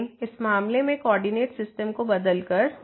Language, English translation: Hindi, But in this case by changing the coordinate system